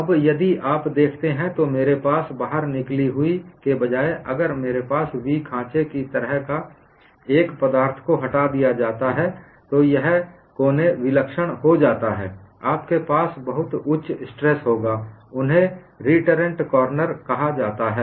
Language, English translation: Hindi, Now, if you look at, I have the instead of the protrusion, if I have a material removed here like a v groove, then this corner becomes singular